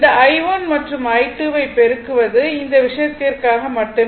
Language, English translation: Tamil, So, if you multiply this I 1 and I 2, it is just for this thing